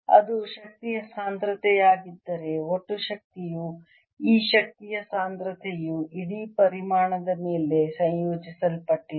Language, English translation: Kannada, if that is the energy density density, the total energy comes out to be this energy density integrated over the entire volume